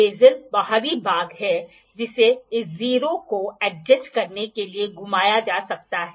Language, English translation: Hindi, The bezel is the outer part which can be rotated to adjust this 0